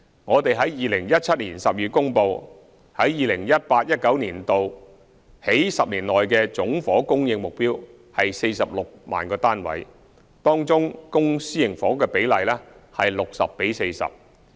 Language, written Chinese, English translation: Cantonese, 我們在2017年12月公布，在 2018-2019 年度起10年期的總房屋供應目標為46萬個單位，當中公私營房屋的比例為 60：40。, We announced in December 2017 that the total housing supply target for the 10 - year period starting from 2018 - 2019 is 460 000 units and the ratio of public to private housing is 60col40